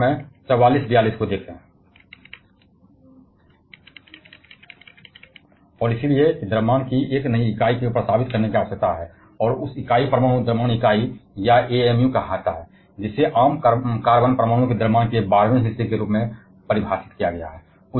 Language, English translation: Hindi, And therefore a new unit of mas is required to be proposed and that unit is called atomic mass unit or amu; which is defined as one twelfth of the mass of the common carbon atom